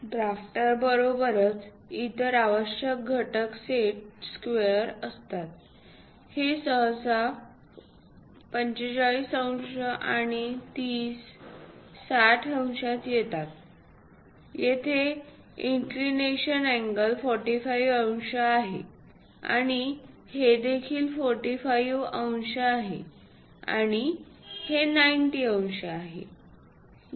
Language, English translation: Marathi, Along with drafter, the other essential components are set squares ; these usually come in 45 degrees and 30, 60 degrees, here the inclination angle is 45 degrees, and this one is also 45 degrees, and this one is 90 degrees